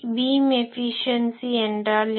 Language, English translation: Tamil, So, what is beam efficiency